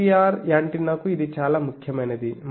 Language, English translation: Telugu, This is quite significant for a GPR antenna